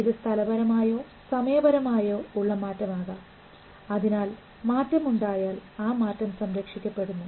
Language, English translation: Malayalam, It may be a temporal change or a special change because if it changes that change is preserved